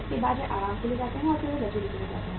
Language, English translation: Hindi, After that they go for the comforts and then they go for the luxury